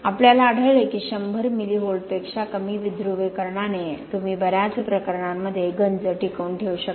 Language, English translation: Marathi, We found that with lower than a 100 milli Volt depolarization you can retain the corrosion in a lot of cases